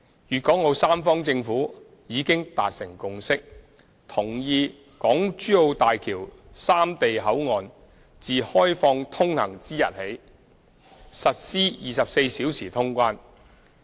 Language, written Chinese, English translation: Cantonese, 粵港澳三方政府已達成共識，同意大橋三地口岸自開放通行之日起實施24小時通關。, The governments of Guangdong Hong Kong and Macao have already reached a consensus that 24 - hour clearance should be implemented from the date of the commissioning of BCFs of HZMB